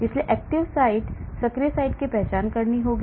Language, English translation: Hindi, So I have to identify the active site